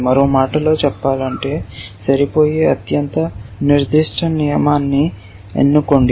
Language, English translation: Telugu, In other words, it is saying choose the most specific rule which matches